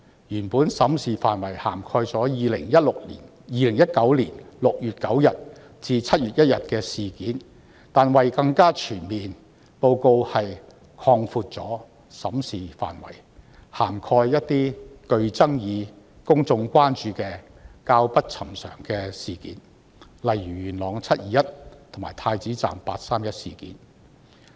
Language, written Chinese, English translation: Cantonese, 原本審視範圍涵蓋2019年6月9日至7月1日的事件，但為令內容更為全面，報告擴大審視範圍至涵蓋一些具爭議、公眾關注及較不尋常的事件，例如元朗"七二一"事件及太子站"八三一"事件。, Initially the review only covered the events that took place between 9 June and 1 July 2019 but in order to make the report more comprehensive the coverage has been expanded to cover incidents that are controversial of public concern and unusual such as the 21 July incident that happened in Yuen Long and the 31 August incident the happened inside Prince Edward MTR Station